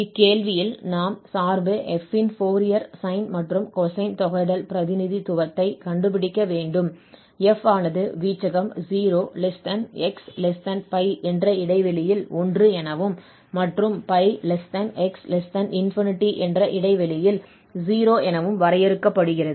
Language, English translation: Tamil, So, now in this question, we need to find Fourier sine as well as Fourier cosine integral representation of this function f which is defined 1 in this range 0<x<p and then we have here p<x<8 as 0